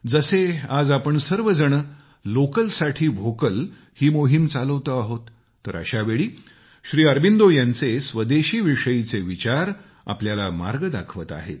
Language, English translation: Marathi, Just as at present when we are moving forward with the campaign 'Vocal for Local', Sri Aurobindo's philosophy of Swadeshi shows us the path